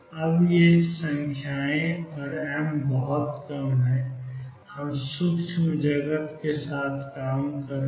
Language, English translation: Hindi, Now these numbers h cross and m are very small we are dealing with microscopic world